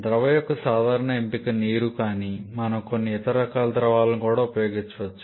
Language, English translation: Telugu, Common choice of liquid is water of course but we can use some other kind of liquids also